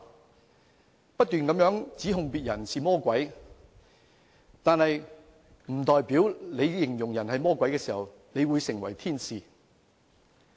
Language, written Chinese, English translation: Cantonese, 他們不斷指控別人是魔鬼，但在形容別人是魔鬼時，並不代表自己是天使。, They keep accusing others of being devils but their accusation will not turn them into angels